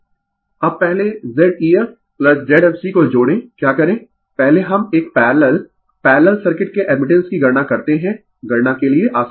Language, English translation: Hindi, So, Z eg now you add Z ef plus Z fg first what you do, first we compute the admittance of a parallely parallel circuit is easy for calculation